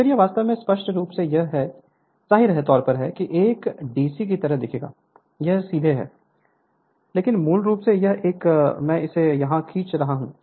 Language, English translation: Hindi, Then this is actually apparently it will be apparently looks like a DC, you are straight line, but basically it will have a I am drawing it here